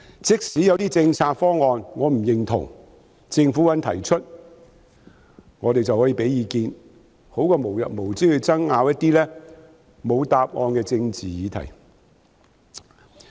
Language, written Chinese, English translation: Cantonese, 即使我不認同某些政策方案，但政府肯提出，我們便可以提供意見，總好過無日無之地爭拗一些沒有答案的政治議題。, Even though I do not approve of certain policy proposals when the Government is willing to put them forward we can provide input and this is still better than engaging in never - ending brawls over some political issues to which there are no answers